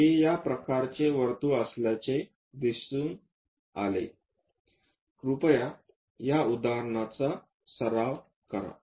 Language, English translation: Marathi, It turns out to be this kind of circle, please practice this example, ok